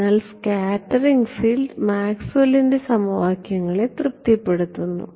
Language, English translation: Malayalam, So, also does the scattered field satisfy the Maxwell’s equations right